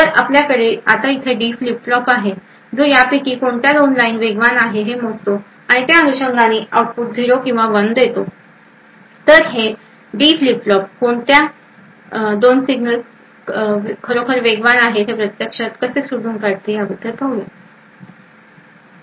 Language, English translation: Marathi, So we also now have a D flip flop over here which measures which of these 2 lines is in fact faster and correspondingly gives output of either 0 or 1, so let us look in more details about how this D flip flop actually is able to identify which of these 2 signals is indeed faster